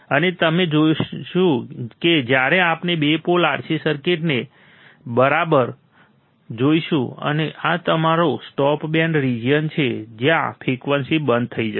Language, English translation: Gujarati, And you will we will see when we see the two pole RC circuit all right, and this is your stop band region where the frequency would be stopped